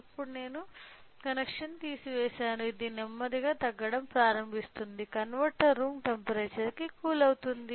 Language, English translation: Telugu, So, now I have removed the connection it will start slowly coming down coming down because of the converter cooling come to the room temperature